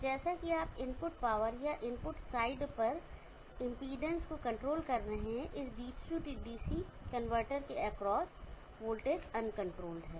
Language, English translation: Hindi, So as you are controlling the input power or the impotency at the input site, the voltage across the f this DC DC convertor, is uncontrolled